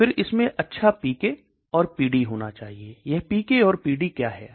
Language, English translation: Hindi, Then it should have good PK and PD, what is this PK and PD